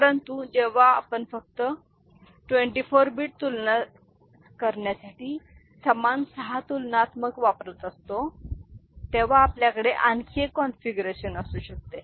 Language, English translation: Marathi, But, we can have another configuration when we are using the same you know six comparators only for 24 bit comparison